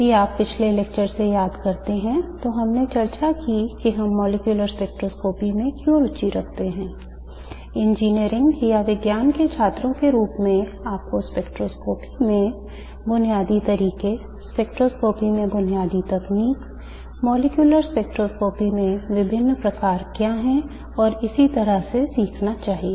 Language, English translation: Hindi, If you recall from the previous lecture, we discussed why we are interested in molecular spectroscopy, why as engineering or science students you must learn the basic methods in spectroscopy, basic techniques in spectroscopy, what are the various types of molecular spectroscopy and so on